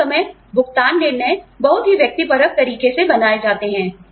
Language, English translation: Hindi, A lot of time, pay decisions are made, in a very subjective manner